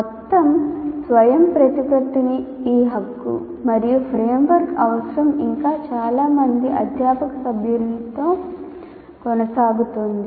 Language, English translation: Telugu, So this right to total autonomy and no need for a framework still continue with majority of the faculty members